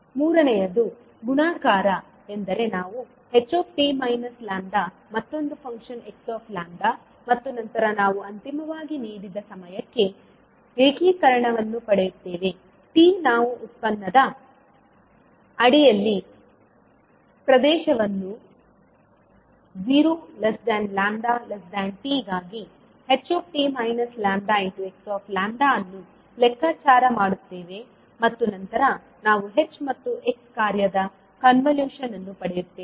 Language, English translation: Kannada, Third is multiplication means we find the product of h t minus lambda and another function x lambda and then we finally get the integration for the given time t we calculate the area under the product h t minus lambda and x lambda for lambda ranging between zero to t, and then we get the convolution of function h and x